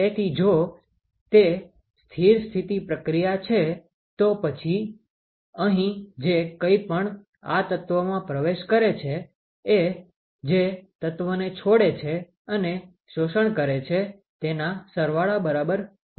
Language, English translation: Gujarati, So, if it is a steady state process then whatever enters this element here should be equal to, what leaves the element plus whatever is absorbed ok